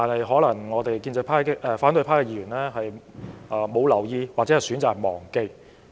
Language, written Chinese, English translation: Cantonese, 可能反對派議員沒有留意或選擇忘記。, Opposition Members may have failed to pay attention or chosen to forget